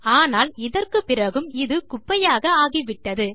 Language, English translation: Tamil, But then even after this, it becomes absolute rubbish